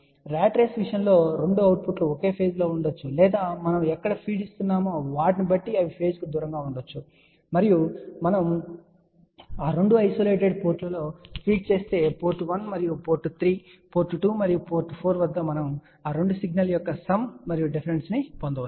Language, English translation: Telugu, But in case of a ratrace the 2 outputs can be in the same phase or they can be out of phase depending upon where we are feeding it, and also if we feed at those 2 isolated ports let us say port 1 and port 3, then at port 2 and 4 we can get sum and difference of those 2 signal